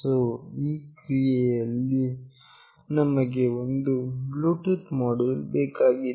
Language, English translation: Kannada, So, in this process we need a Bluetooth module